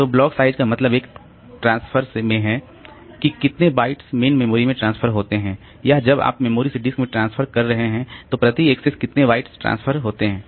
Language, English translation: Hindi, So, block size means in one transfer how many bytes are transferred to the main memory or when you are transferring from memory to disk how many bytes are transferred per axis